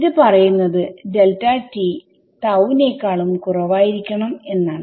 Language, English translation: Malayalam, So, it says delta t should be less than tau ok